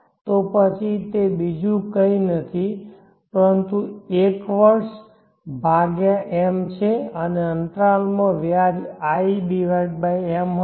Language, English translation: Gujarati, t is nothing but 1year/m and the interest in the interval would be i/m